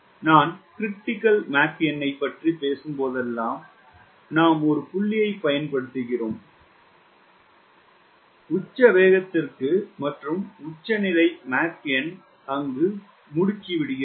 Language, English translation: Tamil, whenever i am talking about m critical we use a point that the speed accelerates to a peak speed, a peak mach number where the pressure is minimum